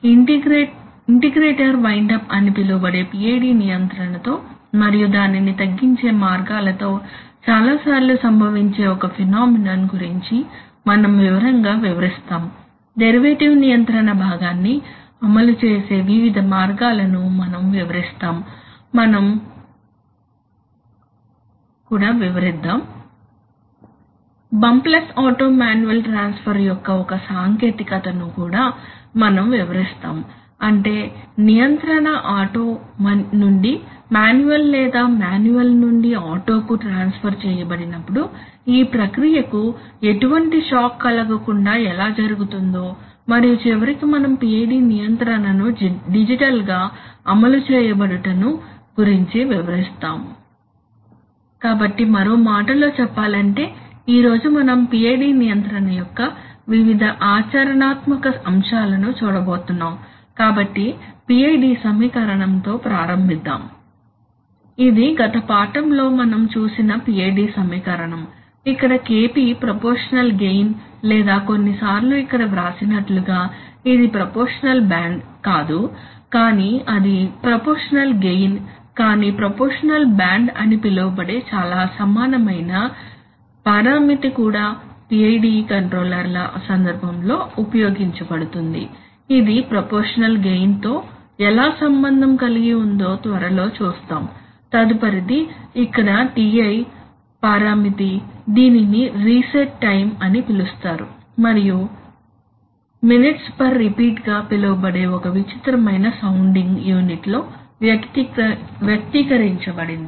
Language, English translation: Telugu, Secondly we will describe and explain in detail about a phenomenon which many times occurs with PID control known as integrator wind up and the ways of reducing that, we will describe various ways of implementing the derivative control part, we will also describe the One technique of, you know, bumpless auto manual transfer that is when the control is transferred from auto to manual or manual to auto, to how, so that it can happen without any shock to the process and finally we will describe digital implementations of PID control, so in other words we are going to look at various practical aspects of PID control today, so let us begin with the PID equation